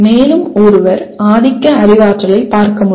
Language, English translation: Tamil, And one can look at dominantly cognitive